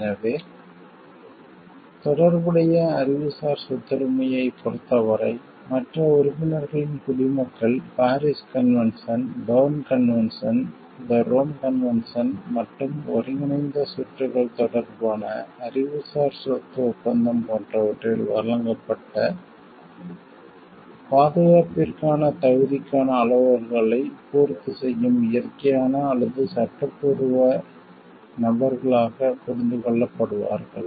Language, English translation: Tamil, So, in respect of the relevant intellectual property right, the nationals of other members shall be understood as those natural or legal persons that would meet the criteria for eligibility for protection provided for in the Paris convention, the Berne convention, the Rome convention and the Treaty of the Intellectual Property in respect of integrated circuits were all members of the WTO members of those conventions